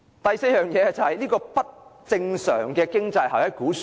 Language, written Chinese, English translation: Cantonese, 第四個原因是不正常的經濟效益估算。, The fourth reason is abnormal estimates of economic benefits